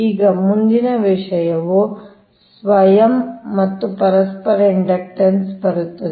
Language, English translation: Kannada, next thing will come that self and mutual inductance, right